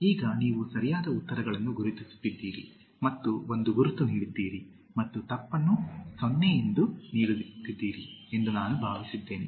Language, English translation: Kannada, Now, I hope you have been ticking the right answers and giving one mark and then crossing the wrong one and giving 0